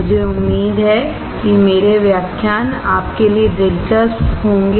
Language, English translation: Hindi, I hope that my lectures are interesting to you